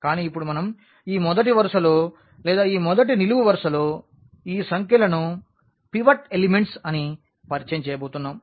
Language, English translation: Telugu, But, what is now we are going to introduce this that these numbers here in this first row or in this first column this is called the pivot elements